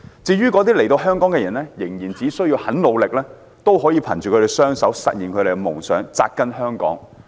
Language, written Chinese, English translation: Cantonese, 至於移居香港的人，只要他們肯努力，便可以憑他們一雙手實現夢想，扎根香港。, As for those who have immigrated to Hong Kong they can go to great pains to realize their dreams by working with their own hands and take root here in Hong Kong as long as they are willing to